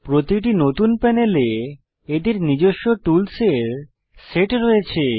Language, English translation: Bengali, Each new panel has its own set of tools